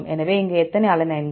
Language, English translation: Tamil, So, how many alanines here